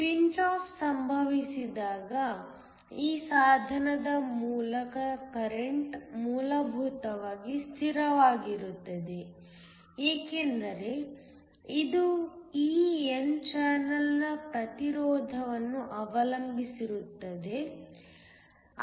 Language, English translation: Kannada, When pinch off occurs the current through this device essentially becomes the constant because it depends upon the resistance of this n channel